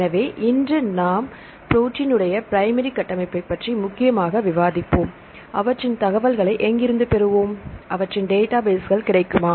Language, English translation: Tamil, So, let today we will discuss mainly on protein primary structure and where shall we get the information from; for the protein primary structures, are their databases available